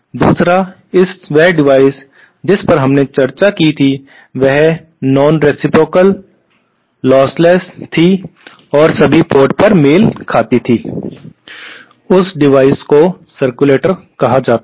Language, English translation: Hindi, The 2nd device which we discussed was nonreciprocal, lossless and matched at all ports, that device was called a circulator